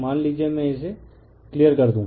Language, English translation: Hindi, Suppose, let me clear it